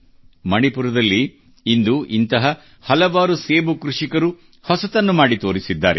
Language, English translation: Kannada, There are many such apple growers in Manipur who have demonstrated something different and something new